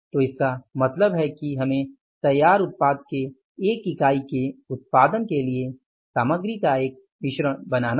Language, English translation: Hindi, So, it means we have to create a mix of the materials to use that mix for manufacturing the finished unit, one unit of the finished product